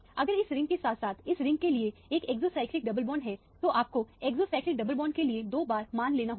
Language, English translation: Hindi, If there is a exocyclic double bond common to this ring as well as to this ring, you have to take twice of the values for the exocyclic double bond